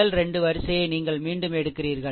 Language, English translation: Tamil, First 2 row you repeat